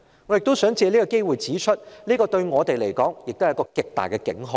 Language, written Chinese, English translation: Cantonese, 我亦想藉此機會指出，這對我們是極大的警號。, I would like to take this opportunity to also point out that this is the loudest alarm to us